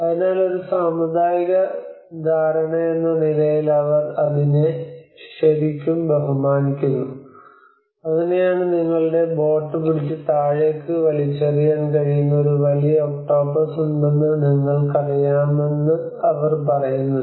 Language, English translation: Malayalam, So they really respect that as a communal understanding, and that is how they say that you know there is a large octopus which might hold your boat and pull it down